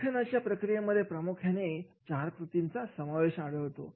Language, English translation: Marathi, The writing process comprises four major activities